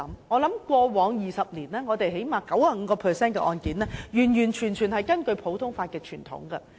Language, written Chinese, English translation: Cantonese, 我相信過往20年，起碼有 95% 的案件是完完全全根據普通法的傳統審判。, I believe that in the past two decades at least 95 % of the cases were tried in accordance with the common law tradition